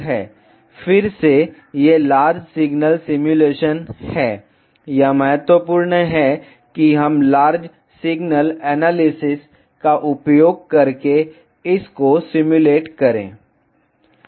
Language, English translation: Hindi, Again, these are large signal simulations it is important that we simulate it using large signal analysis